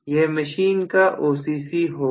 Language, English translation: Hindi, This is going to be OCC of this machine